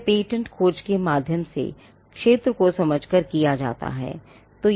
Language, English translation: Hindi, This is done by understanding the field through the patentability search